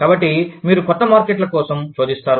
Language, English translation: Telugu, So, you will search for new markets